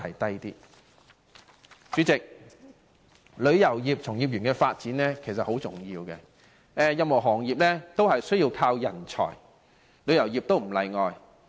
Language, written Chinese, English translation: Cantonese, 主席，旅遊業從業員人力資源的發展十分重要，任何行業均需要人才，旅遊業亦不例外。, President the development of human resources that is tourism practitioners is very important to the industry . All industries need talents and the tourism industry is no exception